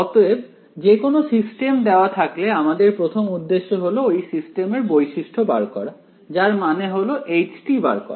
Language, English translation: Bengali, So, given any system our first objective is let me characterize a system means let me find out h